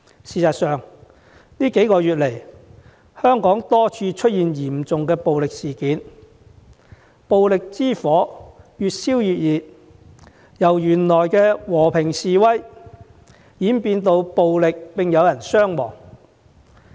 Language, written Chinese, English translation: Cantonese, 事實上，這數個月來，香港多處出現嚴重暴力事件，暴力之火越燒越烈，本來的和平示威演變成暴力衝突並有人傷亡。, In fact in these few months serious violent incidents have occurred in multiple locations in Hong Kong and the flame of violence has been burning more and more intensely with the initially peaceful protests having morphed into violent clashes with casualties